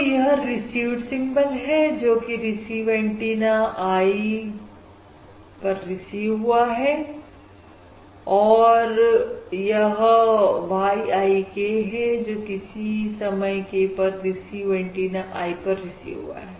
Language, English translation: Hindi, So this is the symbol received on receive antenna i, that is y i k is the symbol received on receive antenna i at time